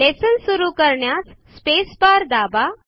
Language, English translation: Marathi, To start the lesson, let us press the space bar